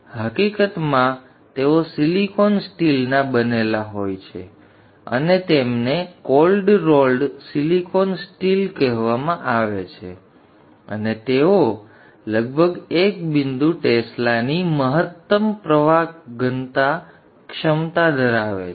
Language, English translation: Gujarati, In fact they are made of silicon steel and they are called cold rolled silicon steel and they have maximum flux density capability of around 1